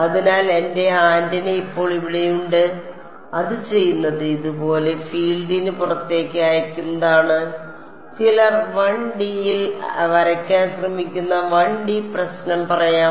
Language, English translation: Malayalam, So, I have my antenna over here now what it is doing it is sending out of field like this let us say 1D problem some trying to draw it in 1D